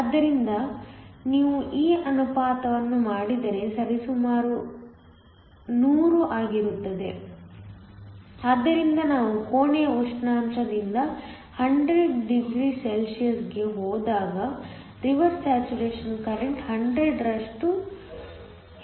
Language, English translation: Kannada, So, if you do this ratio works out to be approximately 100 so that the reverse saturation current is increased by 100, when we go from room temperature to 100°C